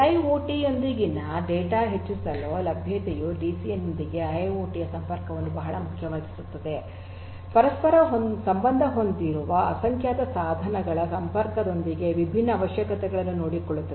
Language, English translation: Kannada, Availability of the data high availability of the data with IIoT will make the connectivity of IIoT with DCN very important, taking care of different requirements such as connectivity of in innumerable number of devices which are interconnected